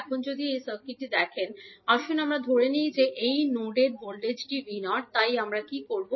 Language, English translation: Bengali, Now, if you see this particular circuit, let us assume that the voltage at this particular node is V naught, so what we will do